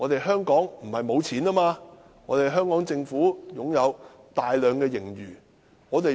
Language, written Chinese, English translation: Cantonese, 香港政府不是沒有錢，而是擁有大量盈餘。, The Government of Hong Kong is not in lack of money but hoarding a colossal surplus